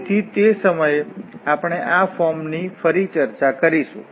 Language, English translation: Gujarati, So, at that time We will discuss this form again